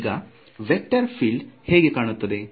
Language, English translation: Kannada, Now how does this vector field look like